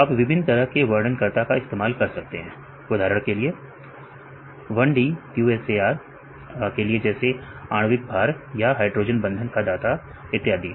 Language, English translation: Hindi, So, you can use various types of descriptors right for example, the 1d QSAR like molecular weight or hydrogen bond donor and so on